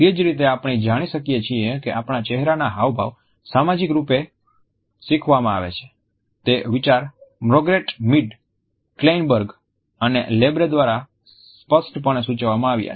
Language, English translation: Gujarati, In the same manner we find that the idea that our facial expressions are socially learnt has been suggested by Margret Mead, Kleinberg and Labarre prominently